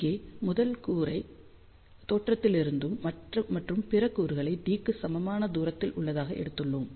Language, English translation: Tamil, Here, we have taken the first element at origin and then other elements are at equal distance which is equal to d